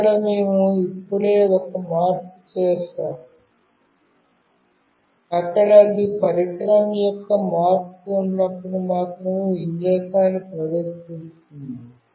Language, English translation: Telugu, Here we have just made one change, where it will display the orientation of the device only when there is a change